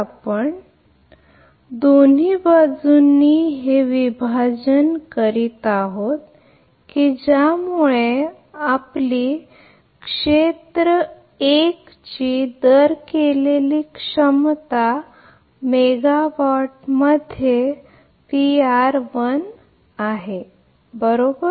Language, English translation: Marathi, That both side we are dividing it by that your rated capacity of area 1 it is in megawatt right P r 1 is in megawatt, right